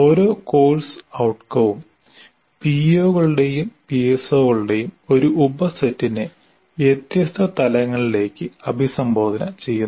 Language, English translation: Malayalam, And each course outcome addresses a subset of POs and PSOs to varying levels